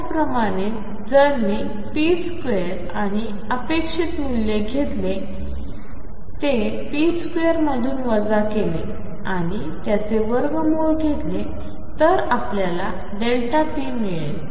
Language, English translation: Marathi, Similarly if I take p square expectation value of that, subtract the square of the expectation value of p and take square root this is delta p